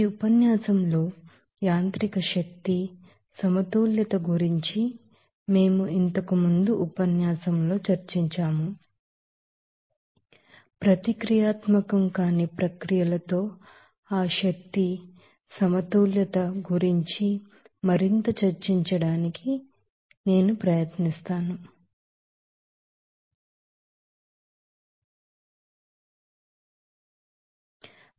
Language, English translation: Telugu, In the previous lecture we have discussed about the mechanical energy balance in this lecture will try to you know discuss more about that energy balances with nonreactive processes